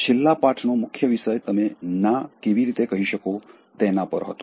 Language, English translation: Gujarati, The focus of the last lesson was particularly on how you can say no